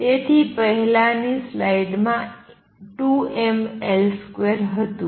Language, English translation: Gujarati, So, the earlier slide, I had in 2 m L square